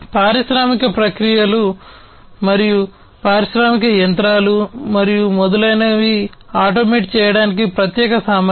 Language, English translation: Telugu, Special capabilities for automating the industrial processes, industrial machinery, and so on